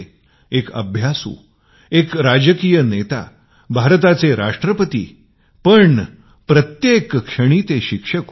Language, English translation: Marathi, He was a scholar, a diplomat, the President of India and yet, quintessentially a teacher